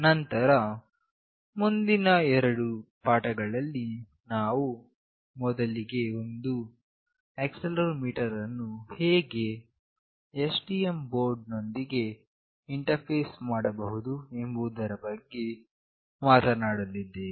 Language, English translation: Kannada, Then in the subsequent next two lectures, I will first discuss that how we can interface an accelerometer with STM board